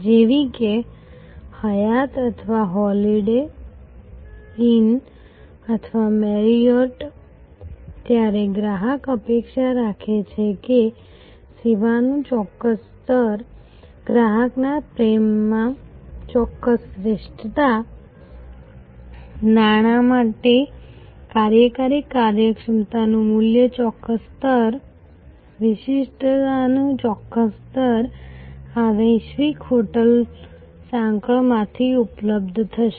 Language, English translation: Gujarati, So, like Hyatt or Holiday Inn or Marriott and the customer expects that a certain level of service level, a certain excellence in customer endearment, a certain level of operational efficiency value for money, a certain level of distinctiveness will be available from this global hotel chain